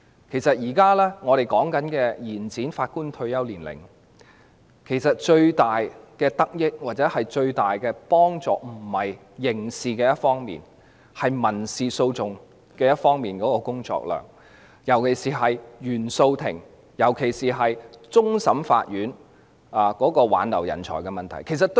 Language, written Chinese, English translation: Cantonese, 其實，我們現時所說的延展法官退休年齡，最大的得益或最大的幫助並不在於刑事方面，而是民事訴訟方面的工作量，與原訟法庭及終審法院挽留人才的問題尤其相關。, As a matter of fact the extension of the retirement age of Judges that we are now discussing will benefit or help most enormously not the criminal proceedings but the workload of civil litigation instead which is particularly relevant to the retention of talents in CFI and CFA